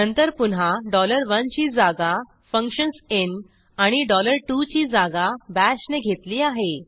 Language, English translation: Marathi, Then again, Dollar 1($1) was substituted by functions in and Dollar 2($2) with Bash